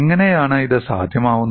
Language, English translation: Malayalam, How is this possible